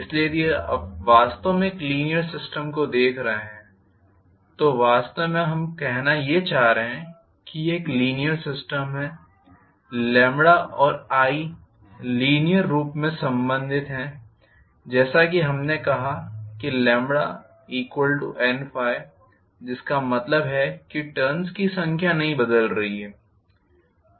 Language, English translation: Hindi, So, if you are looking at actually a linear system what actually we are trying to imply by saying it is a linear system is lambda and i are linearly related after all lambda we said as N Phi and which means number of turns anyway is not changing